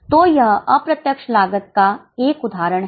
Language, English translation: Hindi, So, it is an example of indirect costs